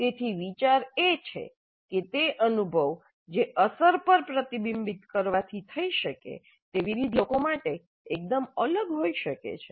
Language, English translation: Gujarati, So the idea is that the learning that can happen from reflecting on the experience can be quite quite different for different people